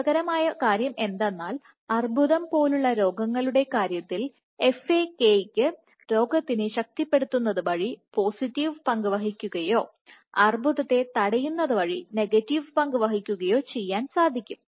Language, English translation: Malayalam, And interestingly in the case of diseases like cancer FAK can play both a positive role; that means, it leads to potentiation of the disease or a negative role which will inhibit cancer